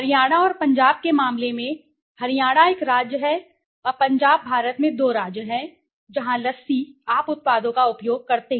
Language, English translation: Hindi, In a case of Haryana and Punjab, Haryana is a state and Punjab are two states in India so where lassie the you know, you see the use of the products